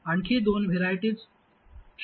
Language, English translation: Marathi, There are two more varieties that are possible